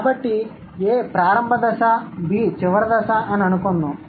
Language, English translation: Telugu, So, let's assume A is the initial stage, B is the final stage